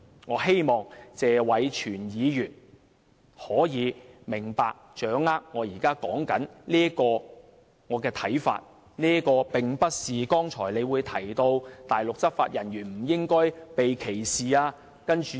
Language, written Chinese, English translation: Cantonese, 我希望謝偉銓議員可以明白及掌握我現時所說的觀點，這並不是剛才他提到大陸執法人員不應該被歧視的說法。, I hope Mr Tony TSE can understand and grasp the point I am making now . This is not about the assertion made by him just now that Mainland law enforcement officers should not be subject to discrimination